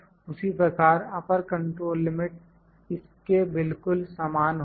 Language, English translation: Hindi, Similarly, upper control limit would be very similar to this